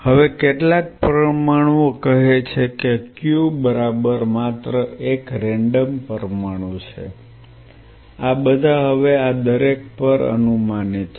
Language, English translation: Gujarati, Now, some molecules say Q right just a random molecule this is all hypothetical now on each one of this